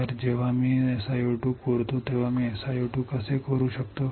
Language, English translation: Marathi, So, when I etch SiO 2 how can I etch SiO 2